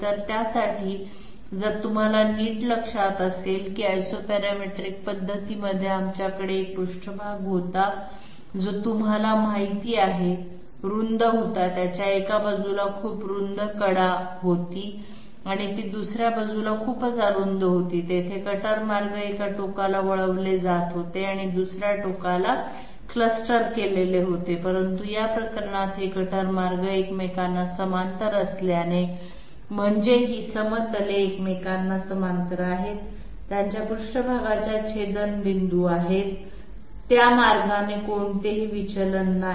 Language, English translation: Marathi, So for that if you kindly remember that in the Isoparametric method we had a surface which was you know wide it had it had a very wide edge on one side and it was very I mean very narrow on the other side because of which their cutter paths were diverging at one end and clustered at the other, but in this case since these cutter paths are parallel to each other I mean these planes are parallel to each other, their intersection lines with the surface, they are not going to have any divergence that way